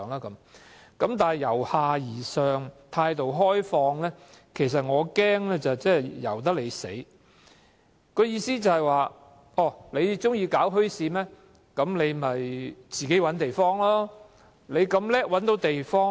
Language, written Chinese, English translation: Cantonese, 但是，我擔心由下而上、態度開放的政策，即代表"由得你死"，意思是市民如欲設立墟市，可自行尋找地方。, However I am worried that the open policy of bottom - up is tantamount to a free hand policy . If members of the public want to set up a bazaar they have to find a site of their own accord